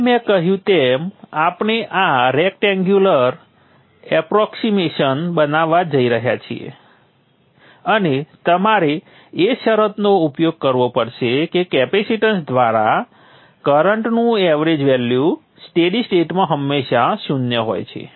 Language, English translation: Gujarati, The current that is flowing through the capacitance, now as I said, we are going to make this rectangular approximation and you have to make use of the condition that the average value of the current through the capacitance is always zero in the steady state